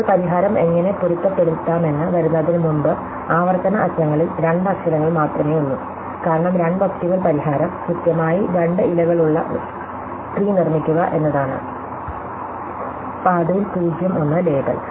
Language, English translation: Malayalam, Now, before coming to how to adapt the solution, the recursive ends when have a only two letters, for two letters, the optimal solution is to build the tree which exactly two leaves, label 0 and 1 at the path